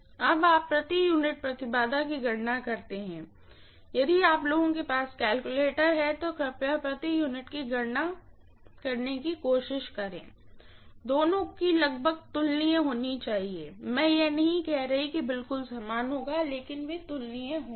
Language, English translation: Hindi, Now you calculate the per unit, if you guys have the calculator, please try to calculate the per unit, both of them should be almost comparable, I am not saying there will be exactly equal, but they will be comparable